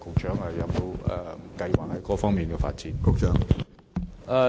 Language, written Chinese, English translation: Cantonese, 請問局長有沒有這方面的發展計劃？, May I ask the Secretary if there are plans for such development in those countries?